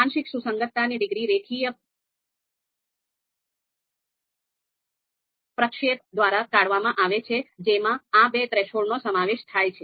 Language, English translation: Gujarati, Now, partial concordance degree is deduced by linear interpolations involving these two thresholds